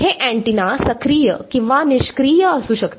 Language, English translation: Marathi, This antenna can be active or passive